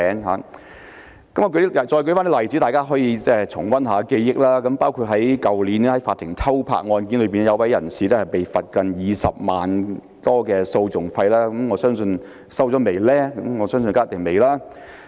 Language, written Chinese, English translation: Cantonese, 我再舉出一些例子讓大家重溫，包括去年的法庭偷拍案件，一位人士被罰款接近20多萬元訴訟費，我相信這筆費用一定尚未收取。, I will give some examples to refresh Members memory . In an incident of clandestine photo - taking in a courtroom the offender was penalized to pay legal costs of almost 200,000 but I do not think the fine has been paid